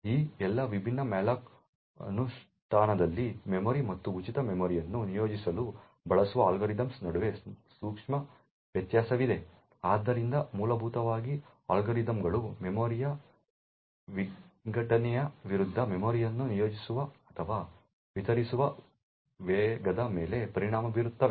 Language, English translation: Kannada, In all of these different malloc implementation there is a subtle difference between the algorithm used to allocate memory and free memory as well, so essentially the algorithms will affect the speed at which memory is allocated or deallocated versus the fragmentation of the memory